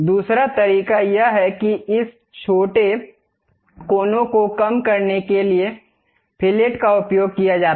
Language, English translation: Hindi, The other way is use fillet to really reduce this short corners